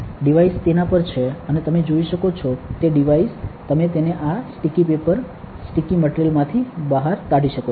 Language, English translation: Gujarati, The devices are on it, and the devices you can see you can take it out from this sticky paper sticky material